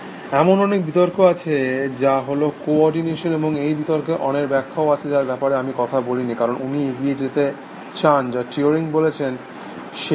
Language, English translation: Bengali, So, there are many arguments, which a co ordination and they have been many counters to the argument which I have not talked about, because he wants to get on, to what Turing said